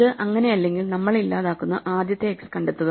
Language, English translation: Malayalam, And if this is not the case then we just walk down and find the first x to delete